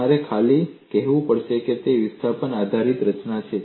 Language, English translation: Gujarati, You will have to simply say it is the displacement based formulation